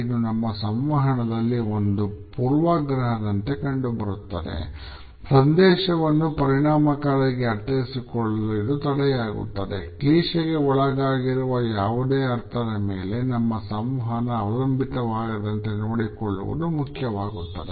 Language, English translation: Kannada, It becomes a bias in our communication, becomes a barrier in effective understanding of the message and therefore, it is important that in our communication we do not rely on any understanding which is rather clichéd